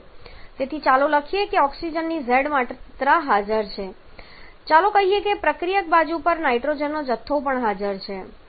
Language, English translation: Gujarati, So, let us write say z amount of oxygen present and let us say a amount of nitrogen is also present on the reactant side